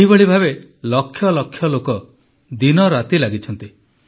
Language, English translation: Odia, Similarly, millions of people are toiling day and night